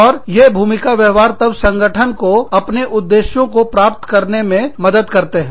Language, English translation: Hindi, And, these role behaviors, then help the organization, achieve its objectives